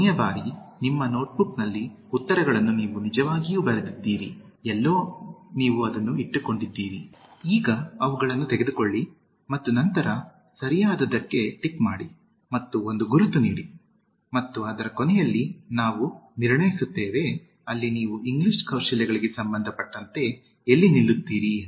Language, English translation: Kannada, Last time, you had actually written the answers I hope in your notebook, somewhere you have kept it, now take them and then as we go for the correct one, just tick it and give one mark and at the end of it we will assess, where you stand as far as English skills are concerned